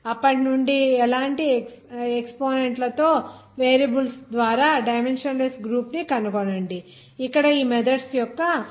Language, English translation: Telugu, Then from then find the dimensionless group by the variables with like exponents will do that example of these methods like here